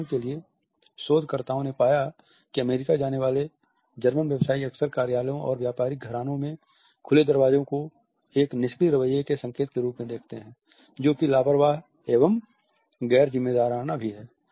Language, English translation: Hindi, For example, researchers have found that German business people visiting the US often look at the open doors in offices and business houses as an indication of a relaxed attitude which is even almost unbusiness like